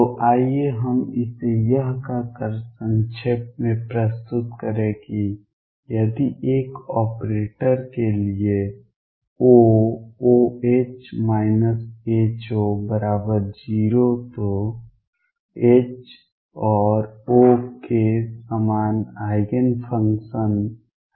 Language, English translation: Hindi, So, let us just summaries this by saying that if for an operator O, O H minus H O is 0 then H and O have the same Eigen functions